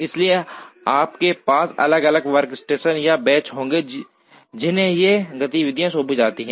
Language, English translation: Hindi, So, you would rather have different workstations or benches to which these activities are assigned